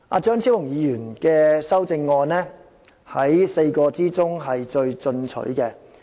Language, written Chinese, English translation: Cantonese, 張超雄議員的修正案是4位議員之中最進取的。, Dr Fernando CHEUNGs amendment is the most aggressive of all the amendments proposed by the four Members